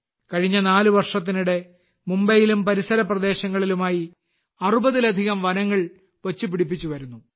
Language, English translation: Malayalam, In the last four years, work has been done on more than 60 such forests in Mumbai and its surrounding areas